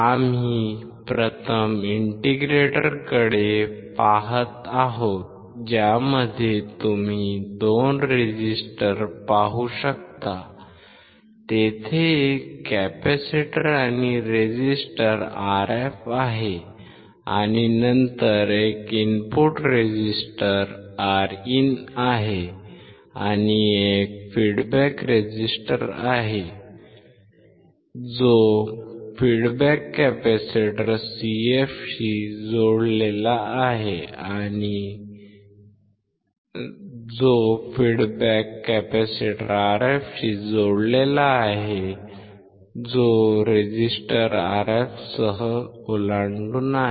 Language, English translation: Marathi, We are first looking at the integrator you can see there are two resistors there is a capacitor and the resistor Rf and then there is an input resistor Rin one is an input resistor one is a feedback resistor connected with the feedback capacitor Cf across it Rf is there